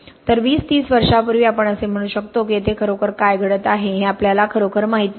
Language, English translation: Marathi, So whereas as 20, 30 years ago we could have said we do not really know what is really happening here